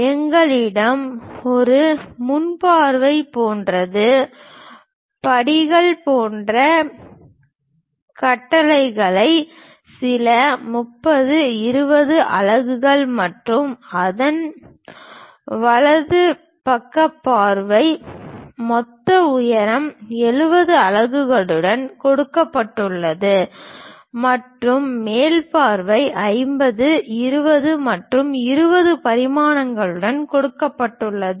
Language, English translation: Tamil, We have something like a front view, having certain dimensions like steps kind of architecture, some 30, 20 units and its right side view is given with total height 70 units and the top view is given with dimensions 50, 20 and 20